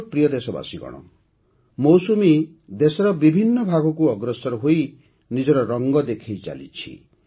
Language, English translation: Odia, My dear countrymen, monsoon is spreading its hues rapidly in different parts of the country